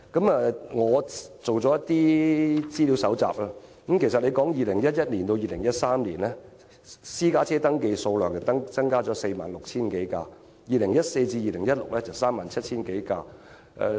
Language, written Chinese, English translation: Cantonese, 我做了一些資料搜集，由2011年至2013年，私家車登記數量增加了 46,000 多輛 ；2014 年至2016年增加了 37,000 多輛。, I have done some researches on this topic . The number of registered private vehicles had increased by 46 000 from 2011 to 2013 and the growth figure was 37 000 from 2014 to 2016